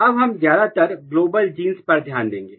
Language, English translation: Hindi, Now, we will mostly focus on the global genes